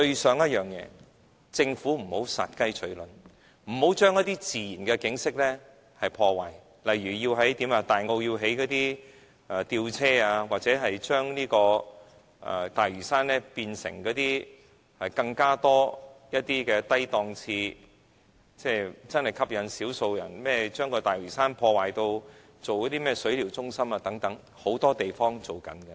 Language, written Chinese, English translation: Cantonese, 希望政府不要殺雞取卵，不要再破壞自然景色，例如在大澳興建吊車或將大嶼山變成更多低檔次的旅遊點，興建只能吸引少數人的水療中心等，這些設施很多地方都有。, I hope that the Government will not kill the goose that lays the golden eggs . It should stop destroying our natural landscape such as installing a cable car system in Tai O or providing low - end tourist attractions in Lantau Island such as a spa centre that only attracts a minority of people since such facilities can be found in many places